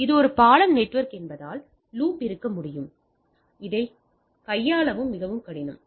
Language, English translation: Tamil, So, that this is a bridge network there can be loop which is which is extremely difficult to handle